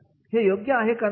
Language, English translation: Marathi, Is it good or not